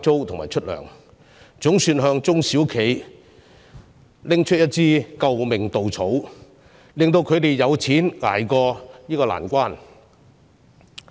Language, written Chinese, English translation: Cantonese, 這項措施總算給中小企送上一根"救命稻草"，令它們有資金渡過這個難關。, This measure can be regarded as a life - saving straw for SMEs bankrolling them to ride out this difficult time